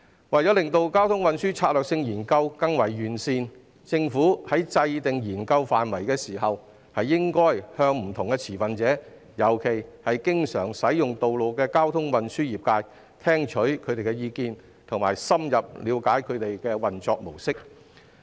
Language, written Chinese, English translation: Cantonese, 為了令交通運輸策略性研究更為完善，政府在制訂研究範圍時，應該聽取不同持份者，特別是經常使用道路的交通運輸業界的意見，並深入了解他們的運作模式。, To enhance the traffic and transport strategy study the Government should listen to the views of different stakeholders especially members of the traffic and transport sectors who are frequent road users and gain a better understanding of their mode of operation when determining the scope of the study